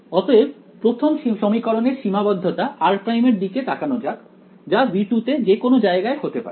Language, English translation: Bengali, So, look at what the constraint r prime for the first equation can be anywhere in V 2 right